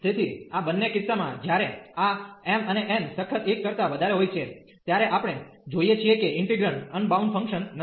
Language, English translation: Gujarati, So, in both the cases this when this m and n are strictly greater than 1, we see that the integrand is not unbounded function